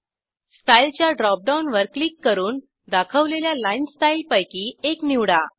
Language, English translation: Marathi, Click on Style drop down and select any of the line styles shown